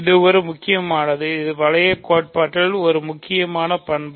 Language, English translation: Tamil, So, this is an important, this is an important property in ring theory